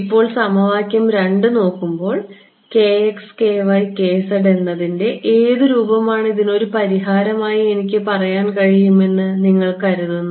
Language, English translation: Malayalam, Now, looking at equation 2, what form of k x, k y, k z do you think I can say is a solution to this